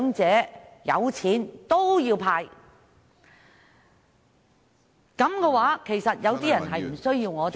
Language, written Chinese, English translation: Cantonese, 這樣的話，其實有些人是無需我們幫助的......, That being the case I must say that some people actually do not need our help